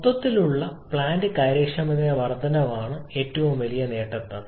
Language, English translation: Malayalam, The biggest advantages and increase in the overall plant efficiency which has to be saying that one